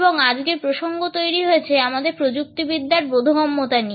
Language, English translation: Bengali, And today’s context is moulded by our technological understanding